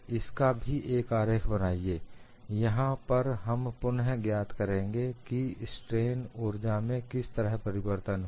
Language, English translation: Hindi, Make a sketch of this also, here again we will find out what way the strain energy changes